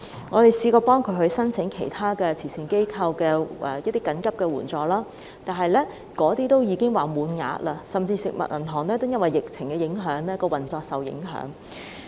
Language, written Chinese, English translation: Cantonese, 我們嘗試協助他們申請慈善機構的緊急援助，但全都已經額滿，就連食物銀行也因為疫情而運作受到影響。, We tried to help them apply for emergency assistance from charity organizations but all the quotas were full . The operation of food banks was also affected due to the epidemic